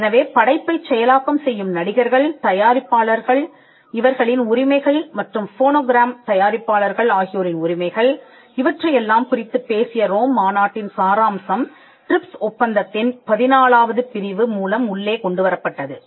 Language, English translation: Tamil, So, the gist of the Rome convention which dealt with protection of performers, producers, rights of performers and producers of phonograms was also brought in through Article 14 of the TRIPS